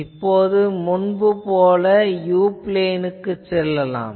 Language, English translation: Tamil, Now, as before, we generally go to the u plane